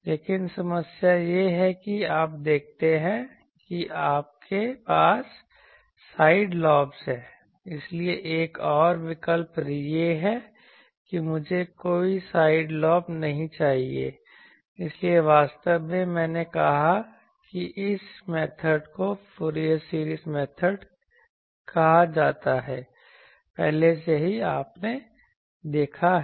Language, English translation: Hindi, , so, if another choice is that suppose I do not want any side lobe, so actually this method what I said that is called Fourier series method already you have seen